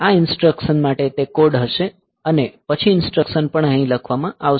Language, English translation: Gujarati, So, for this instruction that code will be there and then the instruction will also be written here